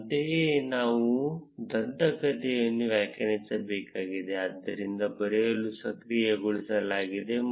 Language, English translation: Kannada, Similarly, we need to define the legend, so write enabled as true